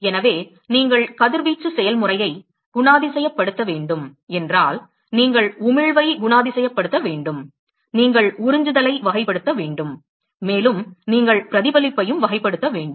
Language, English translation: Tamil, So, if you have to characterize the radiation process, you will have to characterize the emission, you will have to characterize the absorption, and you also have to characterize the reflection